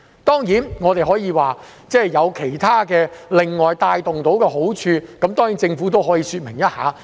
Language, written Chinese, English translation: Cantonese, 當然，我們可以說會帶動到其他的好處，政府可以另外說明一下。, Of course we may say that perhaps they could facilitate developments in other fields . I hope the Government may further explain that